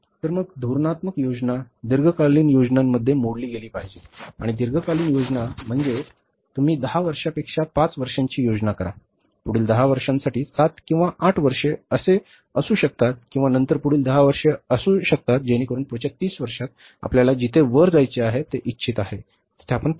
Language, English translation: Marathi, And the long term plans is you will say plan for five years, then or maybe for the 10 years or seven or eight years, then for the next 10 years, for the next 10 years, so that in the next 30 years we want to reach there where we want to go up